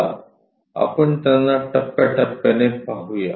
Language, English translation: Marathi, Let us look at them step by step